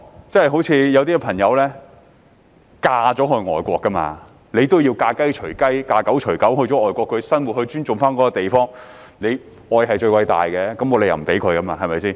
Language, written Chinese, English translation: Cantonese, 正如有些朋友嫁到外國便要"嫁雞隨雞，嫁狗隨狗"，到外國生活便要尊重該地方，因為愛是最偉大的，沒有理由不容許。, Just like the case of foreign brides . A married woman follows her husband wherever he goes . If they live in another country they will have to respect that place